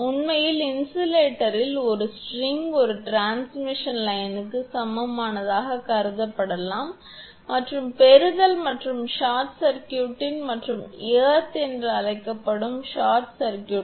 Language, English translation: Tamil, Actually a string of insulators may be considered to be equivalent to a transmission line with receiving end and short circuited what you call receiving and short circuited and earthed